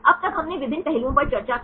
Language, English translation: Hindi, Till now we discussed on various aspects